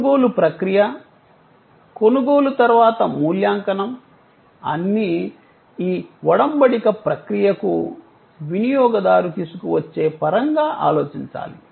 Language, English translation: Telugu, The process of purchase, the post purchase evaluation, all must be thought of in terms of what the user brings to this engagement processes